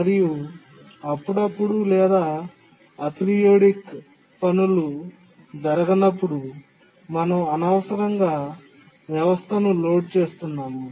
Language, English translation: Telugu, And also when the sporadic or aperidic tasks don't occur, then we are unnecessarily underloading the system